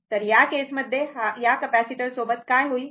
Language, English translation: Marathi, So, in that case, what will happen this capacitor